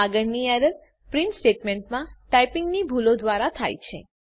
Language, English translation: Gujarati, The next error happens due to typing mistakes in the print statement